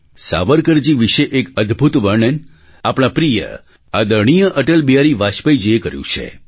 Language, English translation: Gujarati, A wonderful account about Savarkarji has been given by our dear honorable Atal Bihari Vajpayee Ji